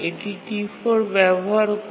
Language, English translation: Bengali, What about uses of R1 by T1 and T2